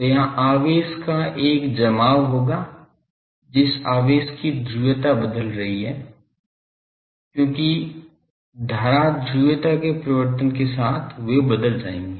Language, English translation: Hindi, So, there will be a accumulation of charge that charge is changing the polarity because with the change of the current polarity they will change